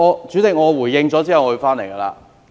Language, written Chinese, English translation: Cantonese, 主席，我回應後便會返回議題。, Chairman I will return to the subject after giving a reply